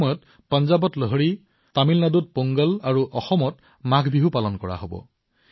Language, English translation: Assamese, During this time, we will see the celebration of Lohri in Punjab, Pongal in Tamil Nadu and Maagh Biihu in Assam